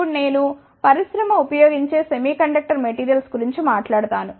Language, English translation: Telugu, Now, I will talk about the semiconductor materials, which are used by the industry